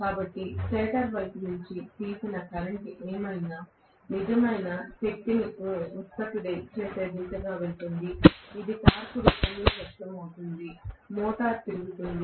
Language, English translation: Telugu, So whatever is the current drawn from the stator side only will go towards producing real power, which is in manifested in the form of torque, which is rotating the motor